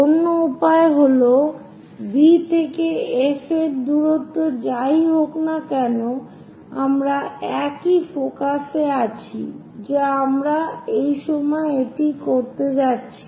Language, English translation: Bengali, The other way is from V whatever the distance of F we have same another focus we are going to have it at this point